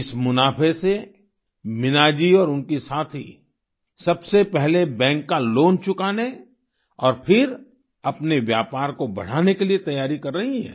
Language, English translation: Hindi, With this profit, Meena ji, and her colleagues, are arranging to repay the bank loan and then seeking avenues to expand their business